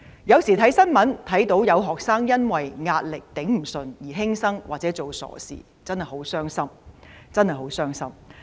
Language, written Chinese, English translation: Cantonese, 新聞不時報道有學生因為無法面對壓力而輕生或做傻事，真的很傷心。, From time to time there would be news reports of students committing suicides or taking rash actions because they were unable to cope with their pressure which is very saddening